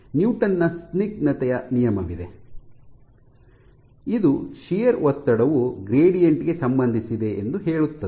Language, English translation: Kannada, So, there is Newton’s law of viscosity, which says that the shear stress is related to the gradient